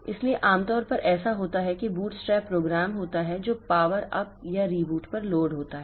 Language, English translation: Hindi, So, typically what happens is that there is a bootstrap program which is loaded at power up or reboot